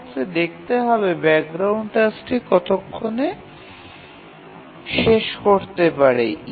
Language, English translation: Bengali, So, in that case, how long will the background task take to complete